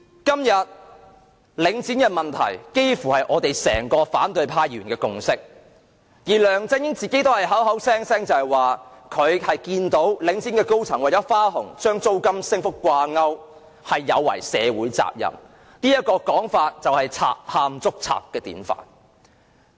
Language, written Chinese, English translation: Cantonese, 今天，領展的問題幾乎是反對派議員的整體共識，而梁振英亦口口聲聲指領展高層的花紅與租金升幅掛鈎是有違社會責任——這種說法便是賊喊捉賊的典範。, Today it is almost an overall consensus of Members from the opposition camp that Link REIT is fraught with problems . LEUNG Chun - ying has also criticized Link REITs senior echelon for betraying their social responsibility by linking their bonus level to increase in rental income―this is a classic example of a thief calling another a thief